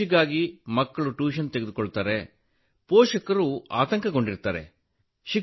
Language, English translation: Kannada, Children take tuition for the exam, parents are worried